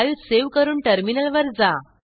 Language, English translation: Marathi, Save the file and go to the terminal